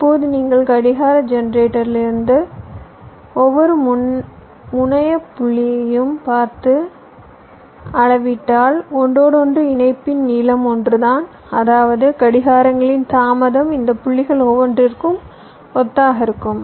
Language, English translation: Tamil, now if you just measure, if you just see from the clock generated up to each of the terminal point, the length of the interconnection is the same, which means the delay of the clocks will be identical up to each of this points